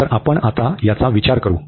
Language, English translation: Marathi, So, we will consider now this one